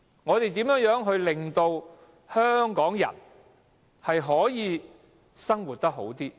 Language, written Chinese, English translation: Cantonese, 我們如何令香港人能夠生活得更好？, How can we improve the lives of Hong Kong people?